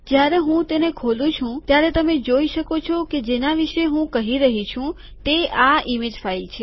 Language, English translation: Gujarati, When I open it you can see that this is the image file that I am talkin about